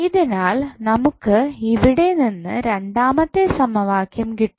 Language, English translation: Malayalam, So, from where we will get the second equation